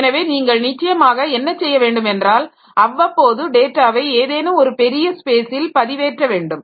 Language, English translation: Tamil, So, of course, so what you should do is that periodically you should upload the data to some place where we have got huge amount of huge space available